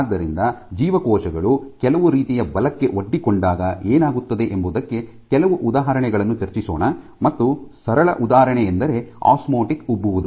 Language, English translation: Kannada, So, let us discuss some examples of what happens when you expose cells to some kind of forces and the simplest case I have the case of osmotic swelling